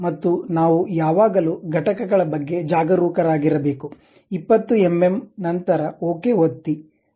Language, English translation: Kannada, And units we always be careful like 20 mm then click OK